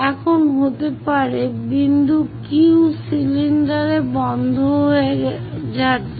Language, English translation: Bengali, Now, point Q might be getting winded up on the cylinder